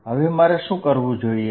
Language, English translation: Gujarati, What would I do then